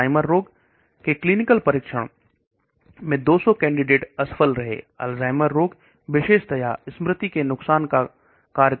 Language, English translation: Hindi, 200 candidates failed for Alzheimer disease in clinical testing, Alzheimer's disease is more to do with the loss of memory and so on